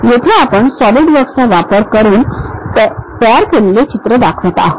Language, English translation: Marathi, Here we are showing a picture constructed using Solidworks